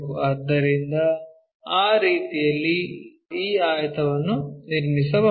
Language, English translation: Kannada, So, in that way we can construct this rectangle